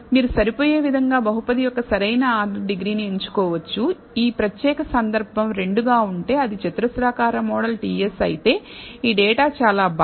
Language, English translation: Telugu, So, you can choose the optimal order degree of the polynomial to fit if this particular case as 2 that is a quadratic model ts this data very well